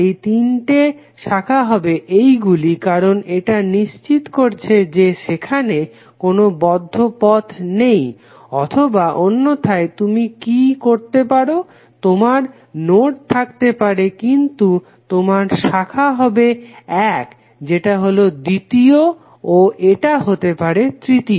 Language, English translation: Bengali, The three branches can be this because it make sure that there is no closed path or alternatively what you can do, you can have the nodes but your branches can be one that is second and it can be third